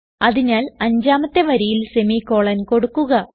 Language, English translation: Malayalam, So go to the fifth line and add a semicolon